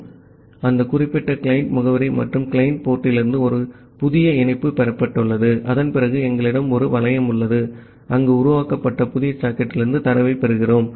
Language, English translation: Tamil, So, from that particular client address and the client port a new connection has been received and after that we are having a loop, where we are receiving the data from the new socket that has been created